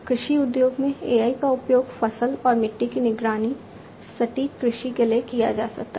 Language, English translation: Hindi, In the agriculture industry AI could be used for crop and soil monitoring, for precision agriculture